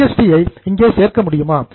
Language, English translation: Tamil, Will you include GST here